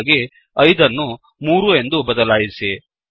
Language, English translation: Kannada, Lets Change 5 to 3